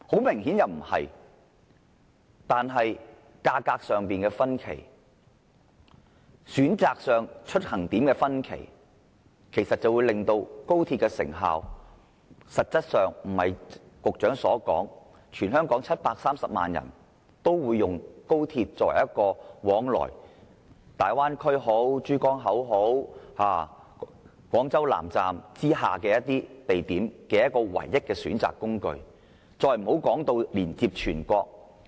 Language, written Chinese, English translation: Cantonese, 明顯不是，價格的差距、出發地點的選擇，實際上均不會如局長所預計，全香港730萬人都會以高鐵作為往來大灣區、珠江口或廣州以南地點的唯一交通工具，更不要說是全國了。, Obviously he cannot . Taking into account the differences in fares and points of departure not all 7.3 million Hong Kong people will travel by XRL to the Bay Area the Pearl River Estuary or places south of Guangzhou let alone the whole country